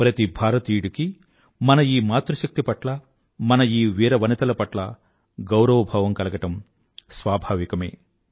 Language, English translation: Telugu, It is very natural for every countryman to have a deep sense of respect for these two bravehearts, our Matri Shakti